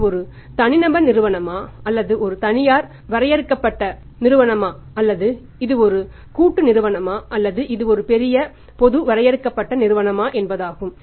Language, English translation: Tamil, Whether it is a one man show or mean to it is a private limited company or it is a partnership firm or it is a large public limited company